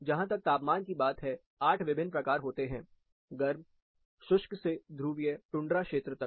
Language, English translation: Hindi, As far temperatures are concerned, there are 8 different types, hot, arid, up to polar tundra region